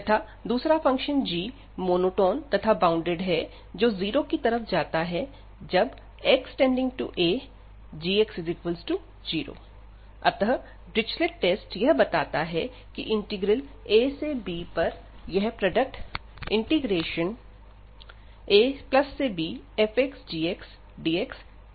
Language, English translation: Hindi, In that case, further if we assume that another function g is monotone and bounded, and approaching to 0 as x approaching to this a and then this Dirichlet’s test concludes that this integral a to b, taking this product f x, g x also converges